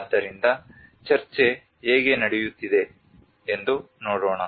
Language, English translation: Kannada, So let us see how the discussion is going on